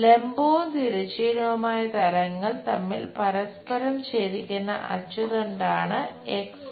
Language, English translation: Malayalam, X Y is the axis which is intersecting both vertical and horizontal plane